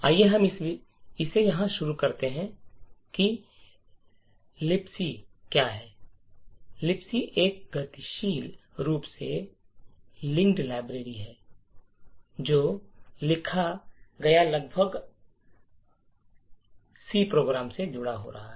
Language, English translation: Hindi, Let us start of by understanding what LibC is, so LibC is a dynamically linked library that gets attached to almost every C program that is written